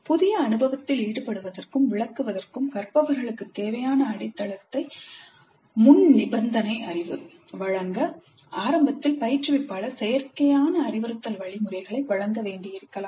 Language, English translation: Tamil, Instructor may have to provide didactic instruction initially to give the learners the foundation prerequisite knowledge required for them to engage in and interpret the new experience